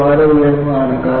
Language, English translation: Malayalam, That is too high